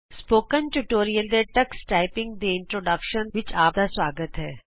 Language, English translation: Punjabi, Welcome to the Spoken Tutorial on Introduction to Tux Typing